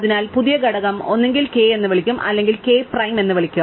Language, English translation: Malayalam, So, the new component will be either called k or it will be called k prime